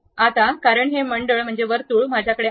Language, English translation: Marathi, Now, because this circle I have it